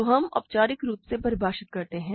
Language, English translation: Hindi, So, let us formally define that